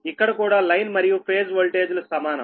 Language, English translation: Telugu, it is line and phase voltage same